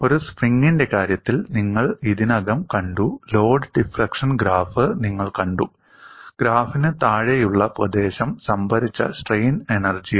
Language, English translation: Malayalam, You have already seen for the case of a spring, you have seen the load deflection graph and area below the graph is the strain energy stored here again the loads are gradually applied